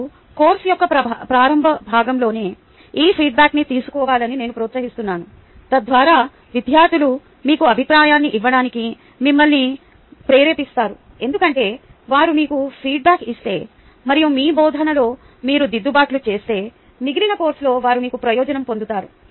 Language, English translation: Telugu, ok, and i encourage that this feedback be taken during the early parts of the course so that the students will you motivated to give you feedback because they up they feel that if they give you feedback and you make corrections in your teaching, then they will you benefited in the rest of the course